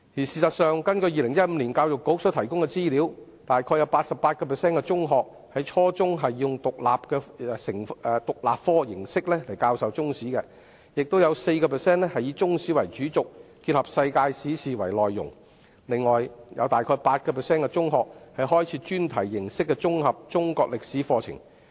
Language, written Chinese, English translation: Cantonese, 事實上，根據2015年教育局所提供的資料，大約有 88% 的中學在初中是以獨立科形式來教授中史；亦有 4% 以中史為主軸，結合世界史事件為內容；另外，大約有 8% 的中學開設專題形式的綜合中國歷史課程。, In fact according to the information provided by the Education Bureau in 2015 about 88 % of secondary schools taught Chinese History as an independent subject at junior secondary level; 4 % of schools adopted the curriculum mode which adopts Chinese history as the backbone supplemented with contents in world history; whereas the other 8 % of schools offered an integrated Chinese History curriculum based on specific topics